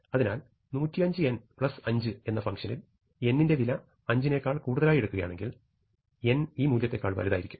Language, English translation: Malayalam, So, if we now start with our function 100 n plus 5 then, if we choose n to be bigger than 5 then n will be bigger than this value